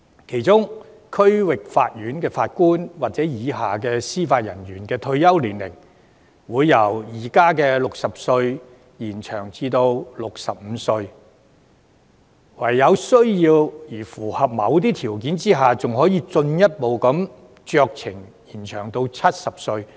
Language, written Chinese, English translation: Cantonese, 其中，區域法院法官或以下級別司法人員的退休年齡，會由現時的60歲延展至65歲，在有需要並符合某些條件下，還可以酌情進一步延展至70歲。, The retirement age for District Court Judges or Judicial Officers at lower levels will be extended from 60 to 65 with the possibility of discretionary extension to 70 subject to certain conditions